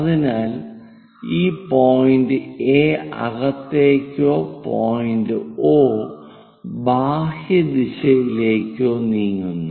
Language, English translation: Malayalam, So, this A point perhaps moving either inside or perhaps O point which is going out in the direction outwards